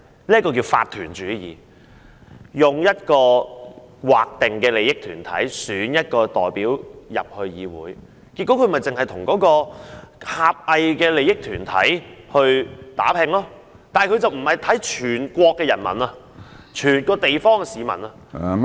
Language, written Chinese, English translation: Cantonese, 那是叫做法團主義，用劃定的利益團體選一些代表加入議會，結果他們就只會為狹隘的團體利益打拼，但就不會看看全國人民、整個地方的市民......, That system was known as corporatism whereby specific interest groups would return their representatives to the parliamentary assembly and as a result they would only fight for the insular interests of their groups having no regard to the people in the whole country or people in the whole area